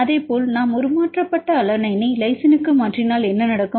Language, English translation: Tamil, Likewise, if we mutate mutate alanine to lysine what will happen